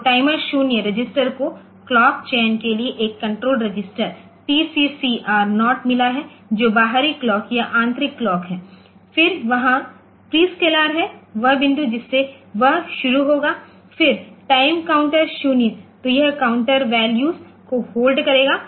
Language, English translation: Hindi, So, timer 0 register has got a control register TCCR 0 for clock selection which is external clock or internal clock then there prescaler that is from which point it will start, then timer counter 0